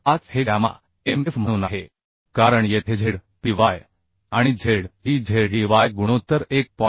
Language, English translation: Marathi, 5 as gamma mf because here Zpy and Zey ratio is greater than it is 1